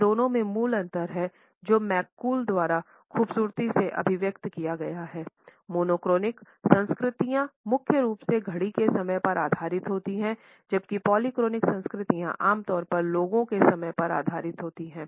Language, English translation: Hindi, The basic difference between these two orientations has been beautifully summed up by McCool when he says that the monochronic cultures are based primarily on clock time whereas, polychronic cultures are typically based on people time